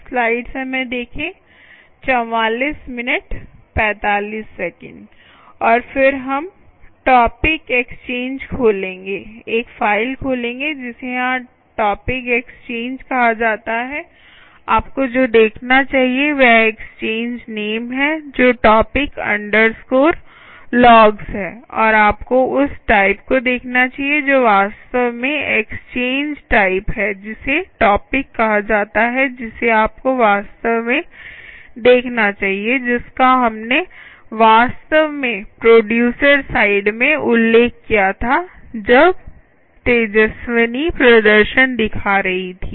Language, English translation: Hindi, here, what you should look for is the exchange name, which is the topic underscore logs, and you should look at that type, which is actually the exchange type is called a topic, what you should really look out for, which we actually mentioned at the producer side when tejaswini was showing the demonstration